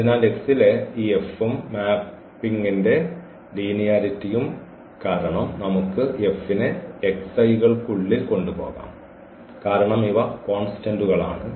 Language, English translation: Malayalam, So, this F on x and due to the linearity of the map we can take this F here inside this x i’s because these are the constant that is the definition of the linear map